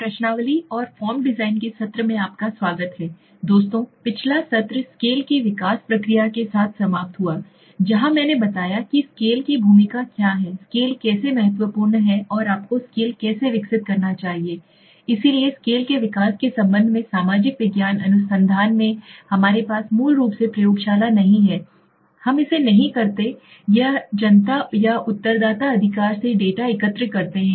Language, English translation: Hindi, Welcome friends to the session of questionnaire and form design, in the last session we just finished with scale development process where I explained okay, what is the role of a scale, how scale is important and how should you develop a scale right, so in connection to the scale development in research in social science research we do not have a basically, we do not do it in a lab so what we do is we collect data from the public or the respondent right